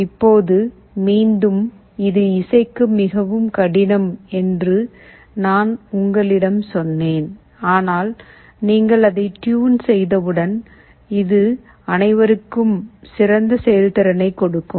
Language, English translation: Tamil, Now again, I told you that this is most difficult to tune, but once you have tuned it, this will give the best performance among all